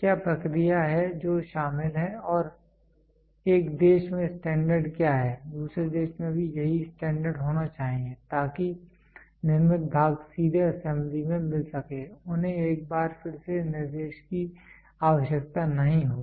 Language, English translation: Hindi, What is the process which is involved and what is the standard in one country should also be the same standard in the other country, so that the parts manufactured can directly get into assembly they need not undergo instruction once again